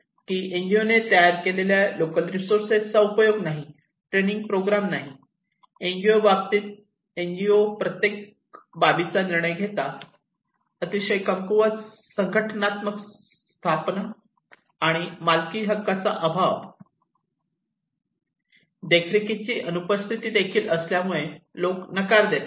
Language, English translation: Marathi, So, what do we see here that no utilisations of local resources designed by the NGO, no training program, NGO decide every aspect; very weak organizational setup and absence of ownership right, people refuse this one and absence of monitoring also